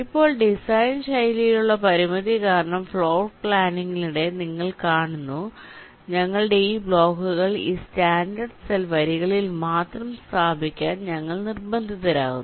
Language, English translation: Malayalam, you see, during floorplanning, because of the constraint in the design style, we are forced to plan our these blocks to be placed only along this standard cell rows